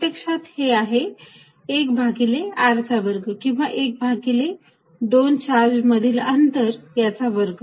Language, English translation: Marathi, Notice that, this quantity here is actually 1 over r square or 1 over the distance between the charges square